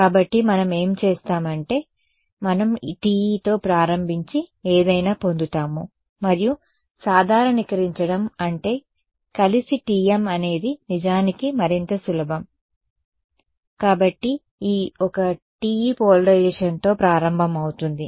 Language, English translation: Telugu, So, what we will do is we will start with TE and derive something, and generalize I mean the together TM is actually even easier o, so will start with this one TE polarization